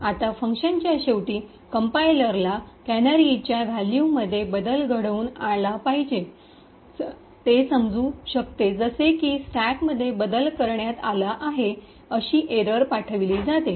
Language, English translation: Marathi, Now at the end of the function the compiler would detect that there is a change in the canary value that is it would throw an error that and that it will throw an error stating that the stack has been modified